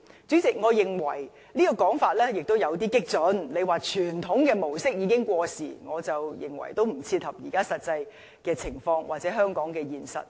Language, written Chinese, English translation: Cantonese, 主席，我認為有關傳統旅遊模式已經過時的說法有點激進，不切合現在的實際情況，或者香港的現實。, President it is a bit radical to say that the traditional mode of travelling is outdated and incompatible with the reality or the actual circumstances of Hong Kong